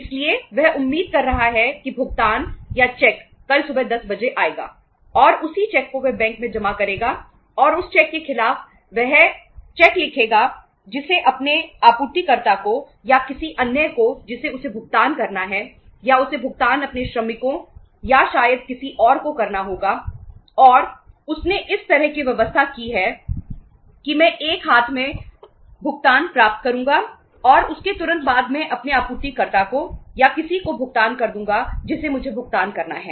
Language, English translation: Hindi, So he is expecting that the payment will arrive at or the cheque will arrive at 10 am tomorrow and that same cheque he will he will deposit in the bank and against that cheque he will write another cheque to his supplier or to anybody to whom he has to make the payment or he has to make the payment to his workers or maybe to somebody else and he has made the arrangements like that I will receive the payment in the one hand and immediately after that I will make the payment to my supplier or to somebody to whom I have to make the payment